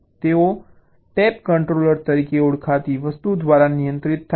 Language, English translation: Gujarati, they are controlled by something called ah tap controller